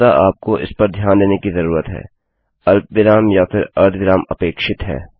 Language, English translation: Hindi, You really need to look for these expecting either a comma or a semicolon